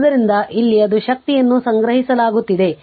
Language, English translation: Kannada, So, here if you see that it is energy being stored right